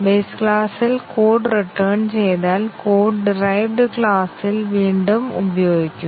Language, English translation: Malayalam, Once code is returned in the base class the code is reused in the derived classes